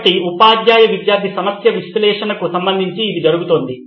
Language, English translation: Telugu, So this is what is going on with respect to the analysis of the teacher student problem